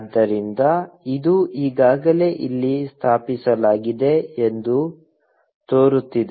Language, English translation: Kannada, So, it looks like, it is already installed here